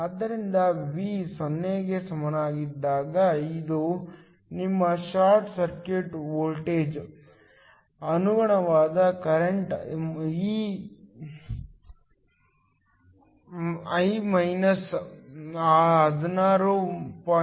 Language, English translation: Kannada, So, when V is equal to 0, this is your short circuit voltage, the corresponding current I is minus 16